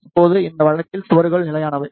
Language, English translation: Tamil, Now, in this case the walls are stationary